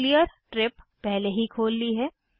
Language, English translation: Hindi, I have already opened Clear trip